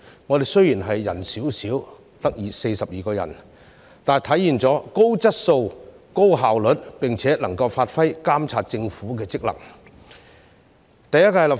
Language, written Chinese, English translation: Cantonese, 我們雖然人少，只有42人，但體現了高質素、高效率，並且能夠發揮監察政府的職能。, Despite a smaller number of Members with only 42 of them we have demonstrated high quality high efficiency and the ability to exercise our function of monitoring the Government